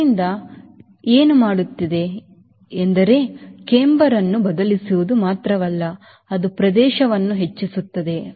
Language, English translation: Kannada, so what it is doing it is not only changing the camber, it is also increasing the area